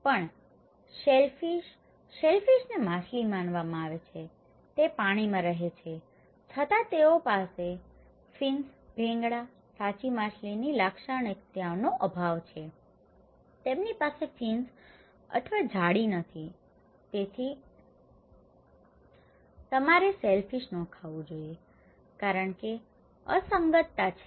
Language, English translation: Gujarati, Also, shellfish; shellfish is considered to be fish, they live in the water yet they lack fins, scales, characteristics of true fish, they do not have fins or grills, okay, so you should not eat shellfish because is an anomaly